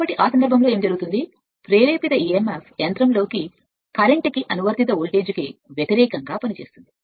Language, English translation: Telugu, So, in that case what will happen the induced emf acts in opposition to the current in the machine and therefore, to the applied voltage